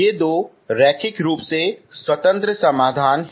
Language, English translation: Hindi, These are two linearly independent solutions